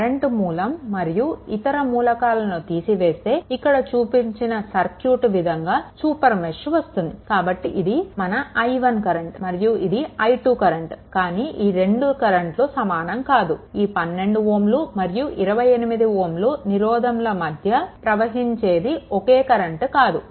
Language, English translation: Telugu, By excluding the current source and the other elements, this is at it is shown in that this there is a super mesh is created, right, but it is your what you call this current is i 1 this current is i 2, right, but do not consider a same current 12 ohm 28 ohm this is flowing no not like that